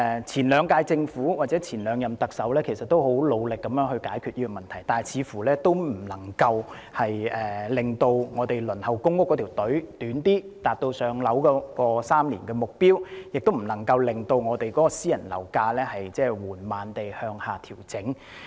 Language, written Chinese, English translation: Cantonese, 前兩屆政府或前兩任特首也很努力地解決這個問題，但似乎仍未能縮短現時輪候公營房屋的隊伍，達致3年獲編配公屋的目標，亦不能令私人樓宇樓價緩慢地向下調整。, The Governments or the Chief Executives of the previous two terms all strove to solve this problem but it seems that they could not shorten the queue for public housing shorter to attain the target of allocating public housing in three years . Nor could they bring about any gradual downward adjustment in private property prices